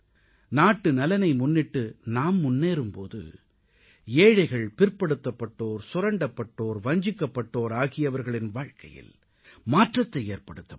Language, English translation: Tamil, When we move ahead in the national interest, a change in the lives of the poor, the backward, the exploited and the deprived ones can also be brought about